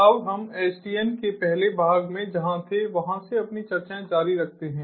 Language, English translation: Hindi, now let us continue our discussions from what where we were in the first part of sdn